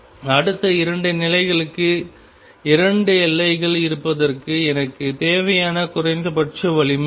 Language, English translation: Tamil, What is the minimum strength that I need for the next two states being there two bounds is being there